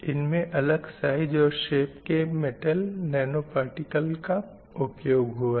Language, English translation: Hindi, So these are the gold nanoparticles of different size and different shape